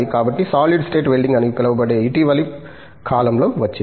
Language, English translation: Telugu, So, there is something called solid state welding that has come up in recent times